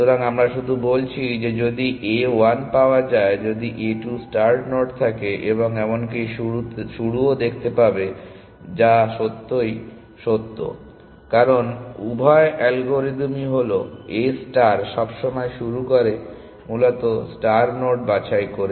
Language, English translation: Bengali, So, we are just saying that if if a 1 sees if a 2 sees the start node and even will also see start which is really true, because both the algorithms are the A star always starts were picking the star node essentially